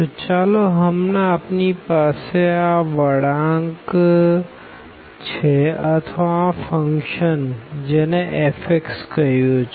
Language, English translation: Gujarati, So, for instance we have this curve here or the function which is given by f x